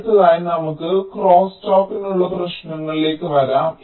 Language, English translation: Malayalam, ok, next let us come to the issues for crosstalk